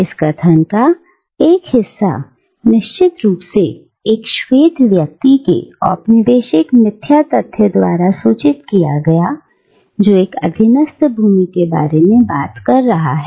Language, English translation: Hindi, Now, part of this statement is of course informed by the colonial snobbery of a white man who is speaking about a subjugated land